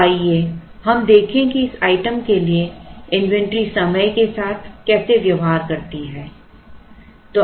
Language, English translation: Hindi, So, let us look at how the inventory for this item behaves with respect to time